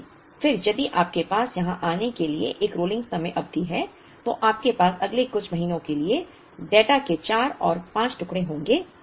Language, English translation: Hindi, But then, if you have a rolling time period by the time you come here, you would have another four 5 pieces of data for the next few months